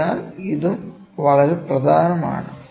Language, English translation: Malayalam, So, this is also very important